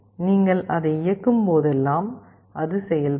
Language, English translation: Tamil, Whenever you are enabling it only then it will be working